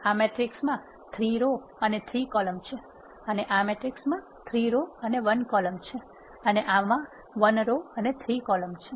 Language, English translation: Gujarati, This matrix has 3 rows and 3 columns, and this matrix has 3 rows and 1 column, and this has 1 row and 3 columns